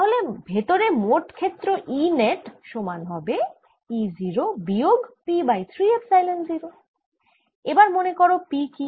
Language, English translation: Bengali, e net inside is going to be e zero minus p over three epsilon zero